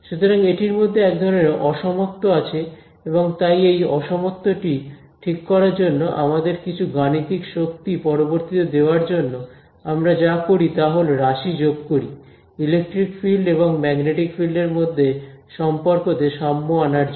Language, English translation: Bengali, So, there is sort of asymmetry in it and so to fix this asymmetry to give us some mathematical power later on, what we do is we add to quantities to make these relations between electric field and magnetic field symmetric